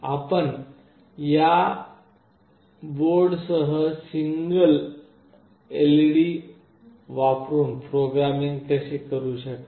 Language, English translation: Marathi, This is how you can do programming with this STM board using a single LED